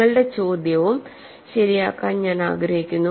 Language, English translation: Malayalam, You know I would like to correct your question also